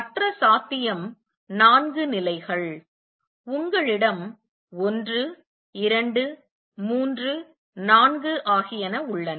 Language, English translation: Tamil, Other possibility is four levels, you have 1, 2, 3, 4